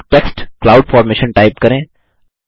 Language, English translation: Hindi, Let us type the text Cloud Formation